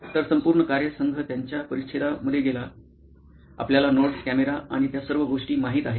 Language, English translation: Marathi, So, the entire team went with their paraphernalia, you know notes, camera and all that